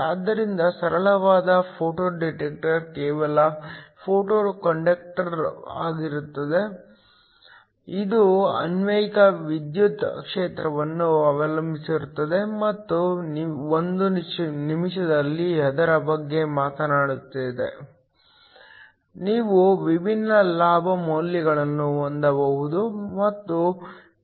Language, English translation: Kannada, So, a simplest photo detector is just a photo conductor, depending upon the applied electric field and will talk about it in a minute, you can have a different gain values